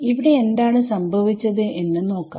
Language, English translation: Malayalam, So, let us see what happens here